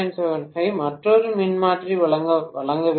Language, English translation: Tamil, 75 to be supplied by another transformer